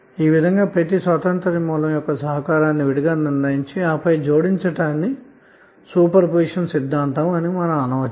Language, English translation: Telugu, So in this way when you determine the contribution of each independence source separately and then adding up is called as a super position theorem